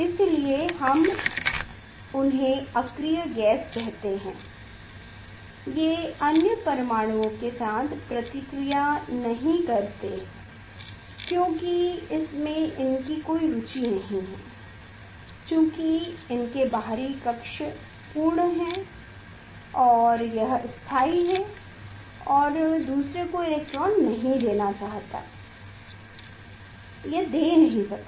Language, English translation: Hindi, that is why we tell them that the inert gas it does not react with other atoms because it has no interest because this outer shell is full it and it is stable it cannot want to give electron to other, it cannot it